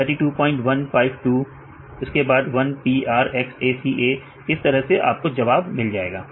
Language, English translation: Hindi, 1852 then 1 p r x a c a like this right you can get the answer